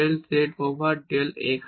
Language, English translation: Bengali, Del z over del x